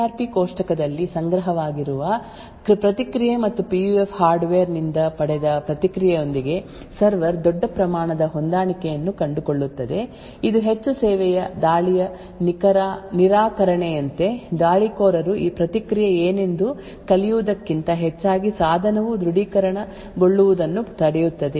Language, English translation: Kannada, So if the PUF response is altered beyond a particular degree, the authentication would fail because the server would find a large amount of mismatch with the response which is stored in the CRP table and the response of obtained by the PUF hardware, this would be more like a denial of service attack, where the attacker rather than learning what the response would be is essentially preventing the device from getting authenticated